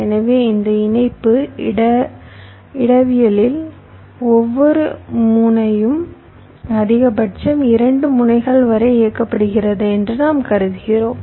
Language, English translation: Tamil, so in this connection topology, so one thing, we are assuming that every node is driving up to maximum two other nodes